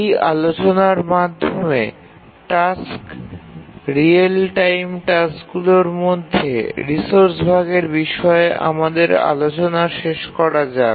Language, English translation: Bengali, Now with that discussion, let's conclude our discussions on resource sharing among tasks, real time tasks